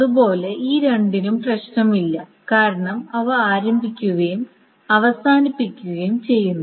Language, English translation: Malayalam, Similarly, these two have no problem because they had been starting and they had been ending